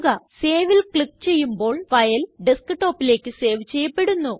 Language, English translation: Malayalam, Click Save and the file will be saved on the Desktop